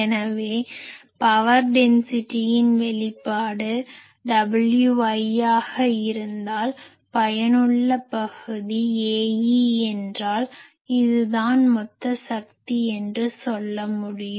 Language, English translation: Tamil, So, I can say that if power density we generally have this expression W i symbol, effective area is A e so, this is I can say total power